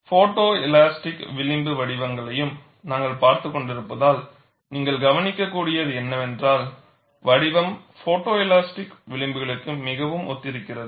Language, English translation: Tamil, Since we have been looking at photo elastic fringe patterns also, what you could notice is, the shape is very similar to photo elastic fringes